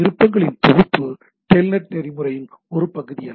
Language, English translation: Tamil, The set of options is not a part of the telnet protocol